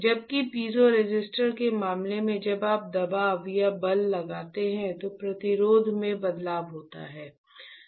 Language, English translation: Hindi, While in case of piezoresistor when you apply a pressure or force there is a change in the resistance right